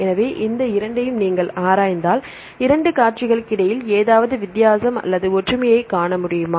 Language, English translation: Tamil, So, if you look into this two sequences, can we see any difference or similarities between the 2 sequences